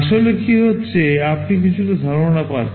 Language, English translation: Bengali, You get some idea what is actually happening